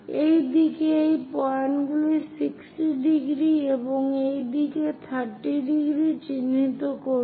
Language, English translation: Bengali, Similarly, on this side also mark these points 60 degrees, and on this side 30 degrees